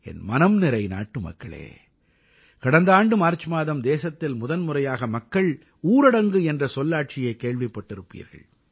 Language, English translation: Tamil, My dear countrymen, last year it was this very month of March when the country heard the term 'Janata Curfew'for the first time